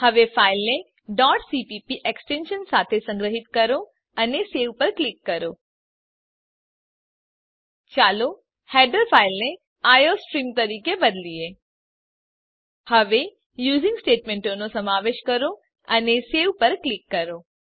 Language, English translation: Gujarati, Now save the file with an extension .cpp and click on save let us change the header file as iostream Now include the using statement And click on Save